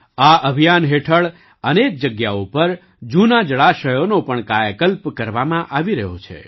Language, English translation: Gujarati, Under this campaign, at many places, old water bodies are also being rejuvenated